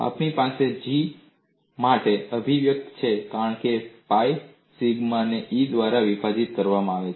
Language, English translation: Gujarati, We have the expression for G as pi sigma squared a divided by E